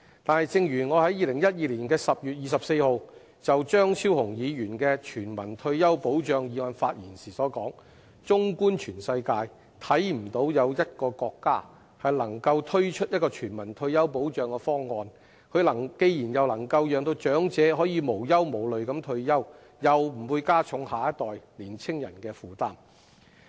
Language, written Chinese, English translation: Cantonese, 但是，正如我在2012年10月24日就張超雄議員的"全民退休保障制度"議案發言時所說，綜觀全世界，看不到有一個國家能夠推出一項全民退休保障方案，既能夠讓長者可以無憂無慮地退休，又不會加重下一代年青人的負擔。, However as I spoke on Dr Fernando CHEUNGs motion on Universal Retirement Protection System on 24 October 2012 a universal retirement protection system that can enable the elderly to enjoy retirement life free from worries without imposing an extra burden on our next generation is yet to be seen in the whole world